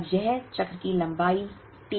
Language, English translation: Hindi, Now, this is T the length of the cycle